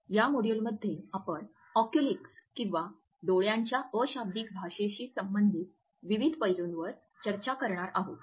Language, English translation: Marathi, In this module, we will discuss Oculesics or different aspects related with the language of eyes